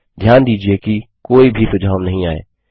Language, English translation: Hindi, Notice that no suggestions come up